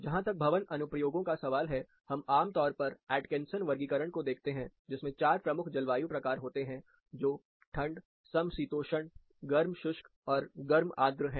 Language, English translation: Hindi, As far as building applications are concerned, we typically look at Atkinsons classification, which has 4 major climate types, starting from cold, temperate, hot dry, and warm humid